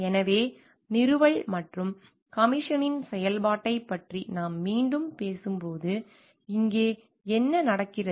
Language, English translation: Tamil, So, like when we again talking of the function of installation and commission, here what happens